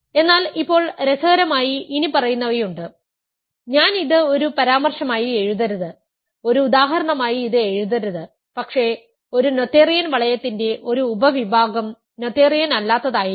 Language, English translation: Malayalam, But interestingly now, there is the following maybe I should not write it as a remark, I should not write it as an example, but remark a subring of a noetherian ring can be non noetherian